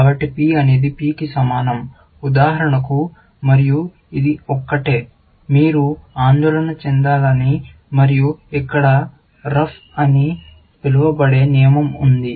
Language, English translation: Telugu, So, P is equal to P, for example, and that is the only thing, you have to worry about, and here is a rule called ruff